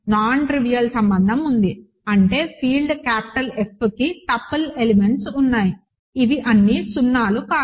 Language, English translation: Telugu, There is a nontrivial relation; that means, there is a tuple of elements of the field capital F which are not all 0s such that this happens